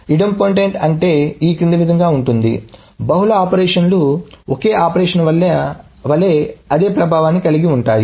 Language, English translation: Telugu, The idempotent means the following is that the multiple operations has the same effect as a single operation